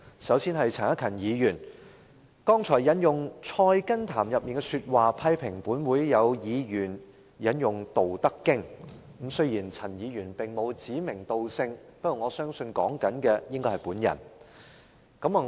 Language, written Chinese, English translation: Cantonese, 首先，是陳克勤議員，他剛才引用《菜根譚》的說話批評本會有議員引用《道德經》，雖然陳議員並沒有指名道姓，但我相信他說的應該是我。, First Mr CHAN Hak - kan quoted from Tending the Roots of Wisdom to criticize a certain Member of this Council who quoted from Dao De Jing . Although Mr CHAN did not name the Member I believe he referred to me